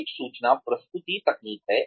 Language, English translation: Hindi, is the information presentation techniques